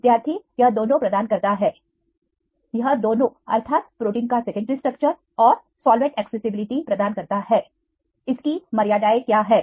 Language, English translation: Hindi, It provides both It provide both secondary structure and solvent accessibility, what are the limitations